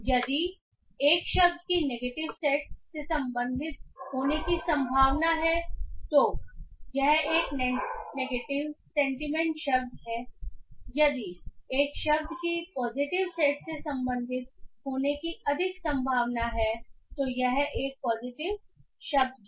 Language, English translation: Hindi, If a word is more likely to belong to a negative set, it is more likely a negative sentiment word